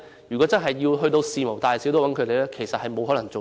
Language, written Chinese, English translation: Cantonese, 如果事無大小也要找他們處理，其實是沒有可能應付的。, If they are asked to attend to every single matter be it big or small actually it will be a mission impossible